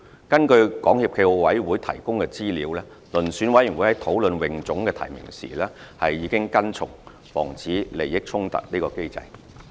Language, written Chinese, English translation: Cantonese, 根據港協暨奧委會提供的資料，遴選委員會在討論泳總的提名時已跟從防止利益衝突的機制。, According to the information provided by SFOC the Selection Committee followed the mechanism for preventing conflicts of interests at its discussion of nominations by HKASA